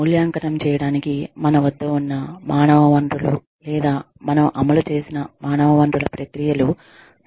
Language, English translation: Telugu, To evaluate, how the human resources, that we have, or the processes of human resources, that we have implemented, have added value to the organization